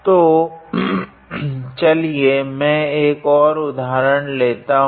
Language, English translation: Hindi, So, let me consider an another example